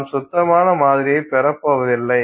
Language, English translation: Tamil, So, you are not going to have clean sample